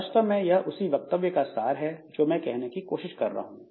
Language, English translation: Hindi, So, this is the, this actually summarizes the statement that I was trying to make